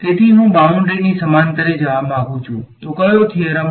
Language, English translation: Gujarati, So, I want to go along the boundary so, which theorem